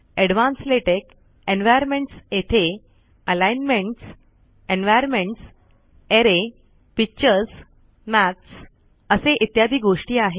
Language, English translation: Marathi, Advanced latex, environments, you have things like alignments, environments, array, pictures, maths, so on and so forth